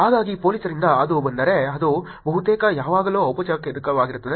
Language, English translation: Kannada, So, from the police if it comes, it is almost going to be always formal